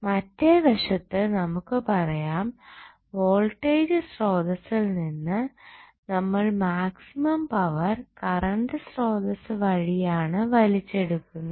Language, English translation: Malayalam, So, on the other end, we can now say that, we draw the maximum power possible power from the voltage source by drawing the maximum possible current